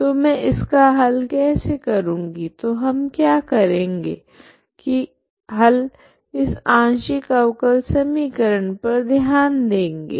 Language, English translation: Hindi, So how do I find the solution so what we do is consider this as a partial differential equation